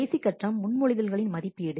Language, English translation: Tamil, The last step is evaluation of proposals